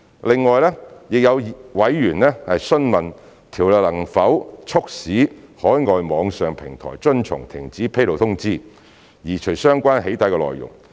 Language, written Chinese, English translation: Cantonese, 另外，亦有委員詢問有關條例能否促使海外網上平台遵從停止披露通知，移除相關"起底"內容。, In addition a member asked whether the relevant legislation could prompt overseas online platforms to comply with the cessation notice by removing the relevant doxxing content